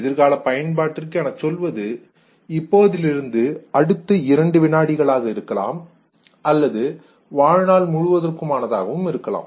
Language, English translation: Tamil, Future usage could be say a couple of seconds from now or it could be even in the lifetime sometime